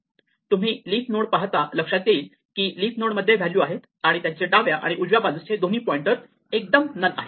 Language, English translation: Marathi, Here, notice that in the leaf nodes the leaf nodes have a value and both the child pointers left and right are directly none